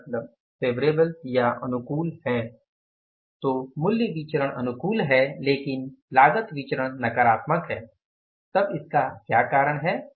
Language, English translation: Hindi, So, price variance is favorable but the cost variance is negative